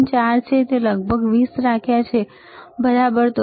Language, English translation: Gujarati, 4, I have kept around 20, right